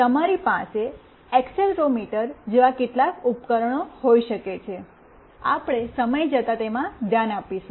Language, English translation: Gujarati, You can have some device like accelerometer, we look into that in course of time